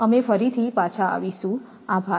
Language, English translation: Gujarati, Thank you, we will come back again